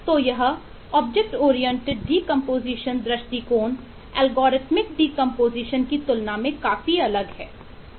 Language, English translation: Hindi, in contrast, we can do an object oriented decomposition